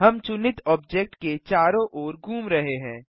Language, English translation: Hindi, We are orbiting around the selected object